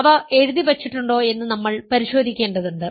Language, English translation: Malayalam, We need to check that they are on the notes here